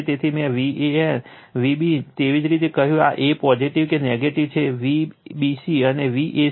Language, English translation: Gujarati, So, the way I told V a b, a is positive or negative, V b c and V c a right